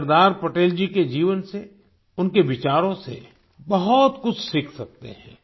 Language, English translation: Hindi, We can learn a lot from the life and thoughts of Sardar Patel